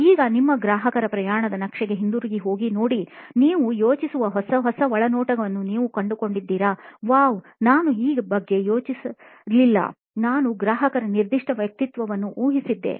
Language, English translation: Kannada, Now, go back to your customer journey map and see if you have unearth something new some new insight that you think, “wow I did not think about this, I had assumed a certain persona of a customer